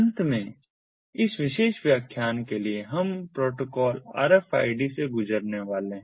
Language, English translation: Hindi, finally, for this particular lecture, we are going to go through the protocol rfid